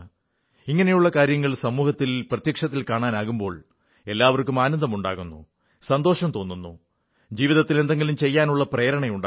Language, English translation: Malayalam, And when such things are witnessed firsthand in the society, then everyone gets elated, derives satisfaction and is infused with motivation to do something in life